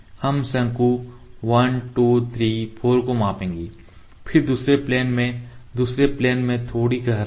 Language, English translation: Hindi, We will measure the cone 1 2 3 4 then little depth in another plane in the second plane